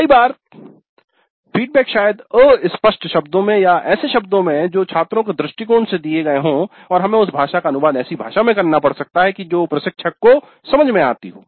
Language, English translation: Hindi, And certain times the feedback may be in terms which are vague or in terms which are given from the perspective of the students and we may have to translate that language into a language that makes sense to the instructor